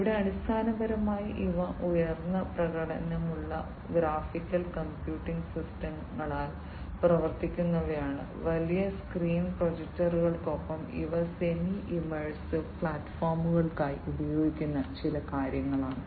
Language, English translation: Malayalam, And here basically these are powered by high performance graphical computing systems, coupled with large screen projectors these are some of the things that are used for semi immersive platforms